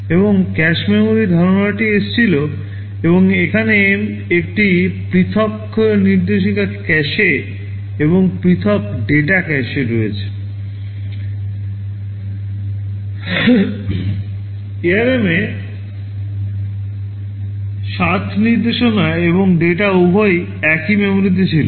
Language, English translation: Bengali, Aand the concept of cache memory came in, and there is a separate instruction cache and separate data cache In ARM 7 instruction and data were both in the same memory